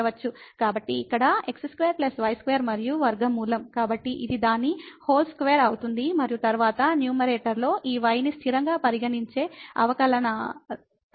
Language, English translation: Telugu, So, here square plus square and the square root; so this will be its whole square and then, in the numerator when we take the derivative treating this y as constant